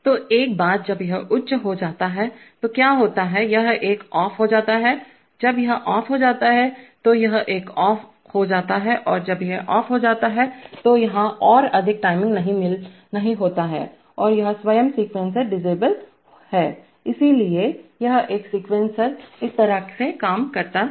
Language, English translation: Hindi, So once this goes high then what happens is that, this one goes off, when this one goes off, then this one goes off, and when this one goes off, there is no more timing here and this itself, that is a sequencer itself is disabled, so this is a way a sequencer works